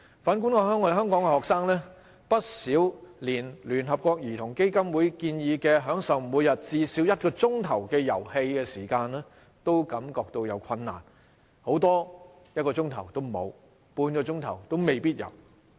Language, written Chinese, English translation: Cantonese, 反觀香港的學生，他們不少連聯合國兒童基金會建議，享受每天至少1小時的遊戲時間也感到困難，很多甚至1小時也沒有，半小時也未必有。, Hong Kong students on the other hand cannot even follow the suggestion of the United Nations Childrens Fund to enjoy one hour of play time every day . Many of them do not have one hour or not even half an hour to play